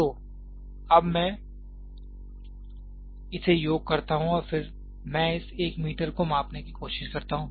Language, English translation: Hindi, So, now, I sum it up and then I try to measure this 1 meter